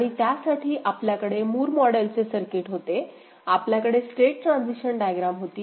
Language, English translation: Marathi, And for that the Moore model, we had the circuit, we had the state transition diagram, something like this